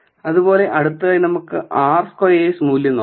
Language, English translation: Malayalam, So, let us look at the r squared value